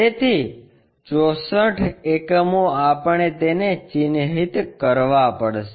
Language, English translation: Gujarati, So, 64 units we have to mark it